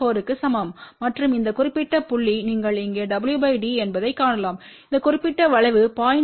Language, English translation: Tamil, 4 and this particular point corresponds you can see here w by d is this particular curve for 0